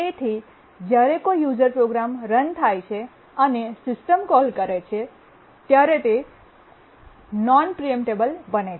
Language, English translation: Gujarati, And therefore, even when a user program is running and makes a system call, it becomes non preemptible